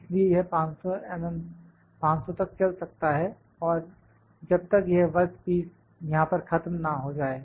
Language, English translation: Hindi, So, it can be it can moving up to 500 and all unless this work piece come finishes here